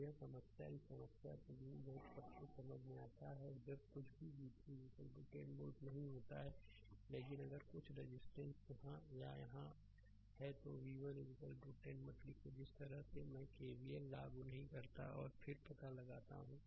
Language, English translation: Hindi, So, this problem this problem hope everything is understandable to you and when nothing is there v 3 is equal to 10 volt, but if some resistance is here or here, that do not write v 1 is equal to 10 never write you apply the way I showed you apply KVL and then you find out what is v 1 right